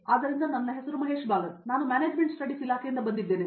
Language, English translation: Kannada, So, my name is Mahesh Balan, I am from Management Studies Department